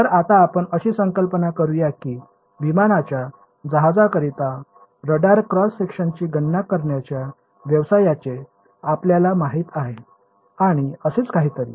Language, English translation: Marathi, So, now, let us imagine that you know where you know in the business of calculating radar cross sections for aircraft ships and so on ok